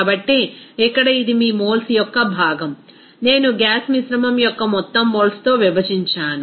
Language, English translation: Telugu, So, here it is your moles of component i divided by total moles of the gaseous mixture